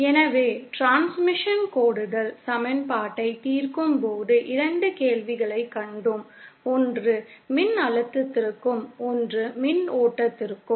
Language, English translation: Tamil, So, while solving the transmission lines equation, we have come across 2 questions, one for the voltage and one for the current